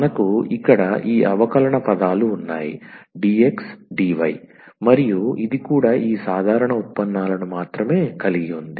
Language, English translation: Telugu, So, we have these differential terms here dx dy and this is also having these ordinary derivatives only